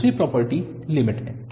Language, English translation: Hindi, The second property is the limit